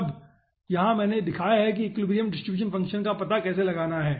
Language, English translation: Hindi, now, here i have shown how to find out the equilibrium distribution function